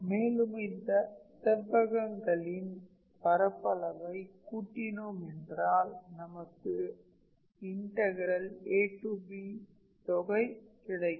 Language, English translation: Tamil, And if you sum all those areas of rectangles then that will actually give you the integration from a to b